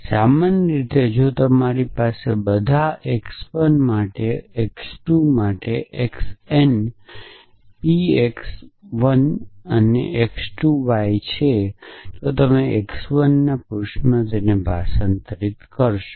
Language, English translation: Gujarati, So, this so in general off course if you have for all x 1 for all x 2 for all x n p x 1 x 2 y then you will translated to p of x 1